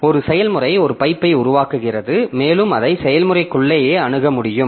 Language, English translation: Tamil, So, one process creates a pipe and it can be accessed from within the process only